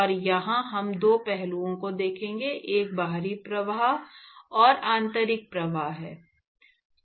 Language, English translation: Hindi, And here we will look at two aspects, one is the external flows and internal flows